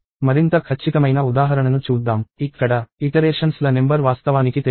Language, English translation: Telugu, Let us see a more concrete example; where, the number of iterations is actually not known